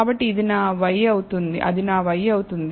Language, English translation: Telugu, So, that becomes my y